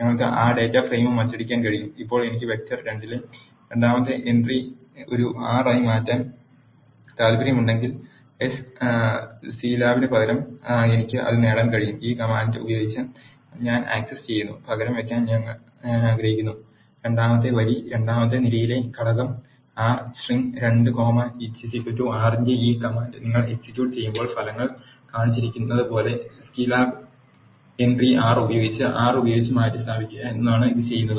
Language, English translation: Malayalam, We can print that data frame also; now if I want to change the second entry in vector 2 as an R instead of Scilab I can achieve that by using this command I am accessing and I want to replace the element in the second row second column with the string R, when you execute this command d f of 2 comma 2 is equal to r what it does is it replaces the entry Scilab with R as shown in the results